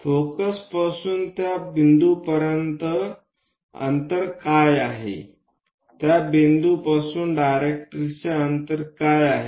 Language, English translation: Marathi, What is the distance from focus to that point, and what is the distance from that point to directrix